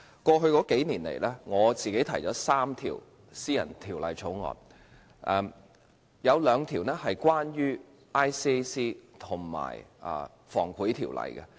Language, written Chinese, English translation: Cantonese, 過去數年，我曾提出3項私人條例草案，有兩項關於廉政公署及《防止賄賂條例》。, I have proposed three private bills over the past few years with two of them being related to the Independent Commission Against Corruption and the Prevention of Bribery Ordinance